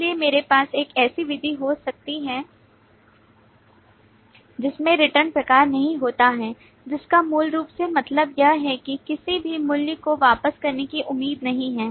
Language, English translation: Hindi, So I may have a method which does not have a return type, which basically means that it is not expected to return any value